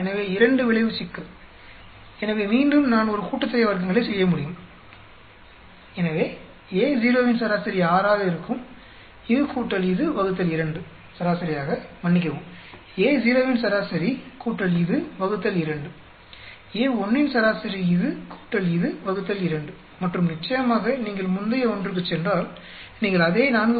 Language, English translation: Tamil, So, two effect problem, so again, I can do a sum of squares, so average of A naught, will be 6, this plus this divide 2, for average of, sorry, average of A naught this plus this divided by 2, average of A1 this plus this divided by 2 and of course if you go to the previous one, you should be getting the same 4